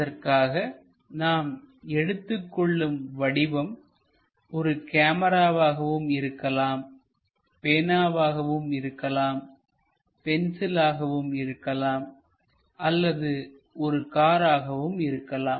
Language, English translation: Tamil, For that purpose what we require is we require an object perhaps it can be camera, it can be a pen, it can be pencil, or it can be a car also